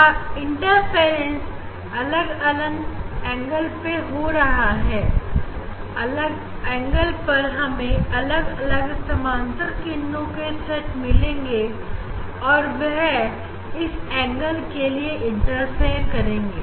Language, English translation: Hindi, this interference will happen at different angles ok, at different angle we will get this get set off parallel rays and they will interfere for that angle